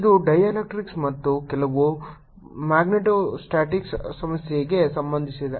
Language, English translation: Kannada, it concerns dielectrics and some magnetostatics problem